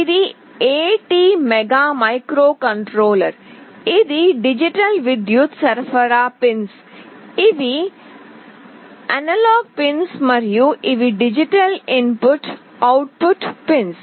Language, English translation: Telugu, This is the ATmega microcontroller, this is the digital power supply pins, these are the analog pins and these are the digital input output pins